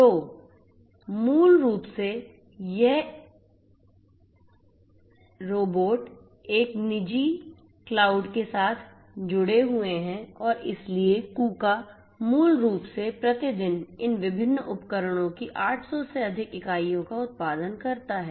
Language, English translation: Hindi, So, basically these robots are connected with a private cloud and so, Kuka basically produces more than 800 units of these different devices per day